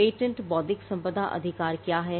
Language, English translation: Hindi, what is a patent intellectual property rights